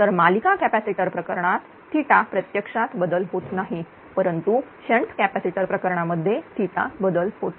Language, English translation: Marathi, Whereas, series capacitor actually there is no change of theta but in the case of shunt capacitor there is a change of theta right